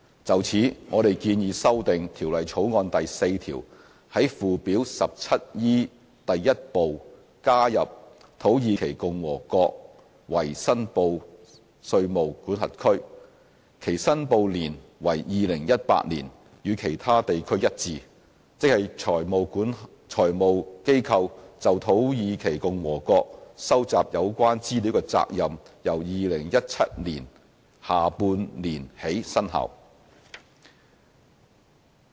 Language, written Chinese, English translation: Cantonese, 就此，我們建議修訂《條例草案》第4條，在附表 17E 第1部加入"土耳其共和國"為申報稅務管轄區，其申報年為 "2018" 年，與其他地區一致，即財務機構就土耳其共和國收集有關資料的責任由2017年下半年起生效。, In this connection we propose to amend clause 4 of the Bill to include Republic of Turkey in Part 1 of Schedule 17E as a reportable jurisdiction with reporting year 2018 so as to be consistent with other jurisdictions ie . with financial institutions data collection obligation in respect of Republic of Turkey starting from the second half of 2017